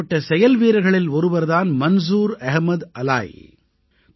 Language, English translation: Tamil, One such enterprising person is Manzoor Ahmad Alai